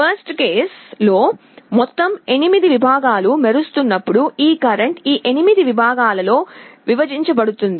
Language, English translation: Telugu, In the worst case, when all the 8 segments are glowing this current will be divided among these 8 segments